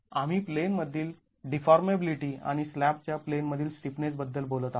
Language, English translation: Marathi, We are talking of the in plane deformability and in plane stiffness of the slab